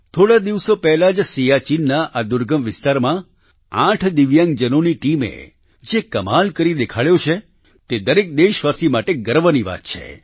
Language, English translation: Gujarati, A few days ago, the feat that a team of 8 Divyang persons performed in this inaccessible region of Siachen is a matter of pride for every countryman